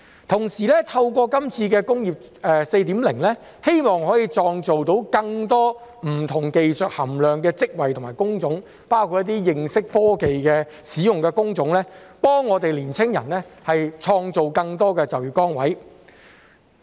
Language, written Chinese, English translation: Cantonese, 同時，透過今次的"工業 4.0"， 希望可以創造更多不同技術含量的職位及工種，包括一些認識科技使用的工種，為青年人創造更多就業崗位。, Meanwhile through this Industry 4.0 it is hoped that more jobs and job types involving different skill contents can be created including job types requiring knowledge in technology application so that more jobs can be created for young people . DAB believes that the future Industry 4.0 in Hong Kong should be developed in two directions in parallel